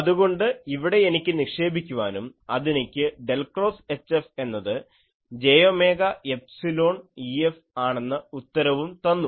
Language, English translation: Malayalam, So, here I can put and that gives me del cross H F is j omega epsilon E F